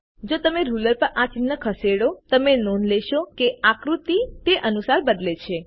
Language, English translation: Gujarati, If you move these marks on the ruler, you will notice that the figure changes accordingly